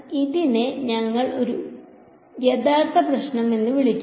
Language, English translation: Malayalam, So, this is we will call this a real problem right